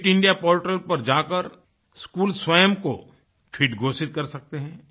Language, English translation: Hindi, The Schools can declare themselves as Fit by visiting the Fit India portal